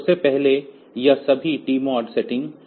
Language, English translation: Hindi, So, definitely this TMOD setting